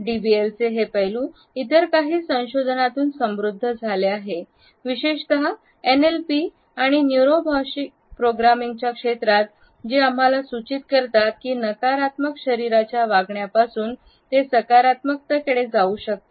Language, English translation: Marathi, This aspect of DBL has further been enriched by certain other researches, particularly in the area of NLP or Neuro Linguistic Programming which suggest that we can shift from a negative body behaviour to a positive one and we can learn it as a new skill